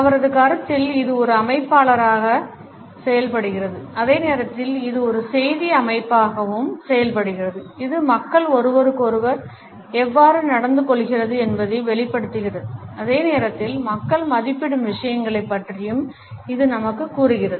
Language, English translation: Tamil, In his opinion it acts as an organizer and at the same time it also acts as a message system it reveals how people treat each other and at the same time it also tells us about the things which people value